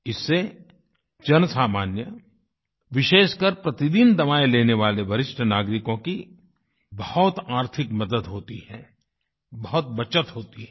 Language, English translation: Hindi, This is great help for the common man, especially for senior citizens who require medicines on a daily basis and results in a lot of savings